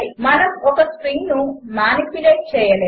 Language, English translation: Telugu, We cannot manipulate a string